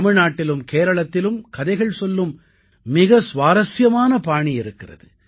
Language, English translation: Tamil, In Tamilnadu and Kerala, there is a very interesting style of storytelling